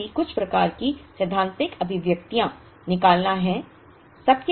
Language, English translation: Hindi, The other is also to derive some kind of theoretical expressions